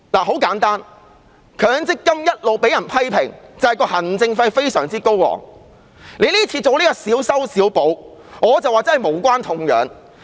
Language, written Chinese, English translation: Cantonese, 很簡單，強積金一直被批評行政費非常高昂，政府這次進行小修小補，我覺得無關痛癢。, Simply put the MPF System has all along been criticized for the exorbitant administration fees . I think the patchy fix made by the Government this time around is irrelevant